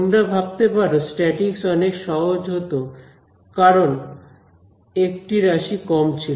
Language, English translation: Bengali, You can imagine that statics would have been easier because there is one term less